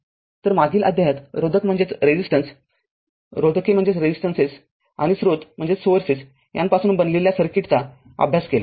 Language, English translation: Marathi, So, in the previous chapter, we have studied circuits that is composed of resistance your resistances and sources